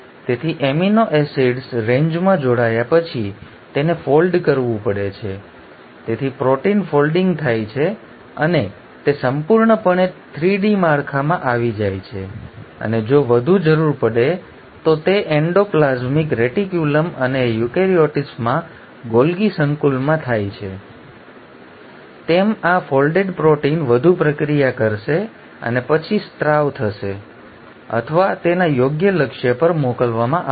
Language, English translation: Gujarati, So after the amino acids have joined in the range, they have to be folded, so protein folding happens and this gets completely into a 3 D structure and if further required as it happens in endoplasmic reticulum and the Golgi complex in eukaryotes this folded protein will get further processed and then secreted or sent to its appropriate target